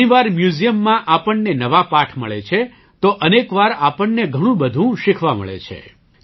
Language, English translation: Gujarati, Sometimes we get new lessons in museums… sometimes we get to learn a lot